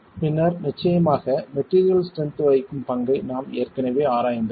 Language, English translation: Tamil, And then of course we have already examined the role played by the material strengths